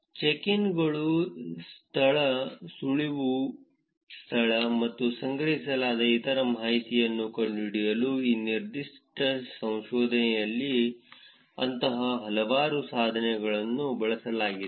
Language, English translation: Kannada, Many of such tools were used in this particular research to find out the location of the check ins, location of tips, and other information that was collected